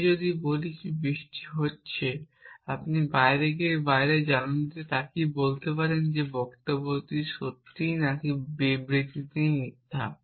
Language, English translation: Bengali, If I say it is raining you can go out and look at outside window and say that the statement is true or statement is false